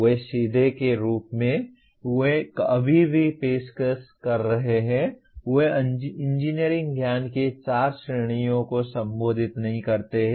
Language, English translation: Hindi, They directly as they are offered right now, they do not address the four categories of engineering knowledge